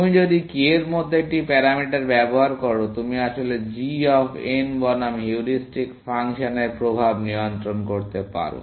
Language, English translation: Bengali, If you use a parameter like k, you can actually control the effect of heuristic function versus g of n